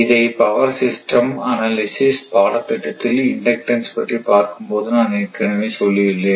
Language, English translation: Tamil, So, power system analysis course also I told you when I started inductance right